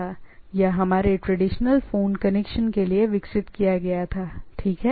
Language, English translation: Hindi, So, this was primarily developed for voice traffic or our traditional phone connections, right